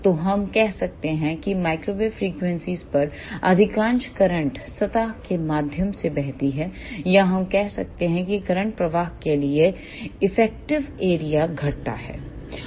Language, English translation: Hindi, So, we can say that at microwave frequencies most of the current flows through the surface or we can say effective area for current flow decreases